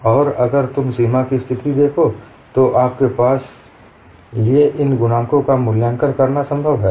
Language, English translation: Hindi, And if you look at the boundary conditions, it is possible for you to evaluate these coefficients